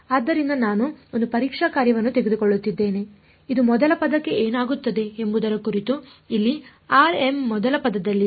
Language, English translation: Kannada, So, I am taking one testing function which is an impulse located at r m first term over here what happens to the first term